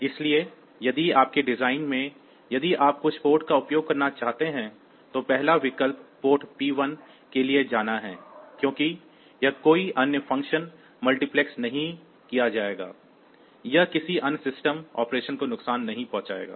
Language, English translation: Hindi, So, if in your design if you want to use some port, the first option is to go for the port P 1 because it here no other function will be multiplexed; so, it should not harm any other system operation